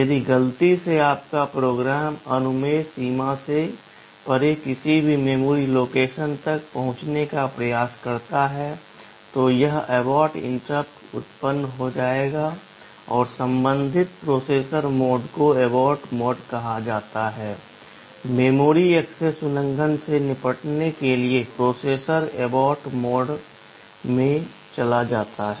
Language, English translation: Hindi, If accidentally your program tries to access any memory location beyond the permissible limits, this abort interrupt will be generated and the corresponding processor mode is called the abort mode; for handling memory access violations the processor goes to the abort mode